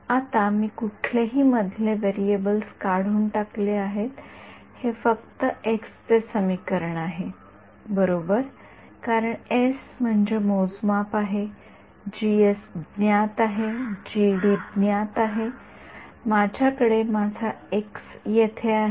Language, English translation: Marathi, Now, I have eliminated any intermediate variables it's only an equation in x right, because s is measurement, G S is known, G D is known, I have my x over here, I have my x over here